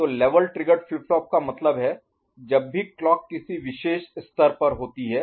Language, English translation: Hindi, So, level triggered flip flip flop means whenever clock is at a particular level